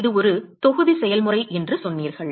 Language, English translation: Tamil, You said it is a volume process